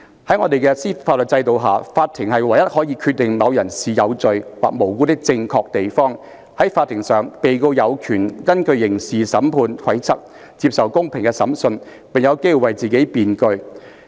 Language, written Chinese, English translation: Cantonese, 在我們的法律制度下，法庭是唯一可以決定某人是有罪或無辜的正確地方。在法庭上，被告有權根據刑事審判規則接受公平的審判，並有機為自己辯據。, Sir in our legal system the only proper place for questions of guilt or innocence of crime to be determined is in a court where the accused has the right to a fair trial in accordance with the rules of criminal justice and the opportunity to defend himself